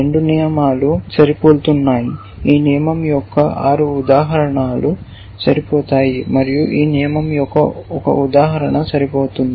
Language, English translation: Telugu, Both rules are matching, both rules 6 instances of this rule will match and 1 instance of this rule will match